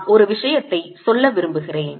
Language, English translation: Tamil, i just want to make one point